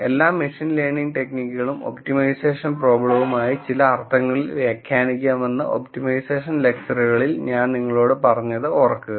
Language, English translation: Malayalam, Remember in the optimization lectures I told you that that all machine learning techniques can be interpreted in some senses an optimization problem